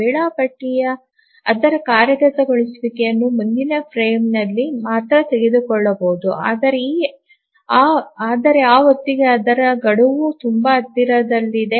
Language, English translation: Kannada, The scheduler can only take up its execution in the next frame but then by that time its deadline is very near